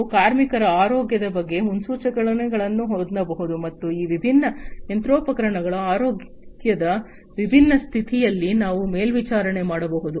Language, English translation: Kannada, We can have predictions about workers’ health, (workers’ health), and also we can do monitoring of the different the health condition of these different machinery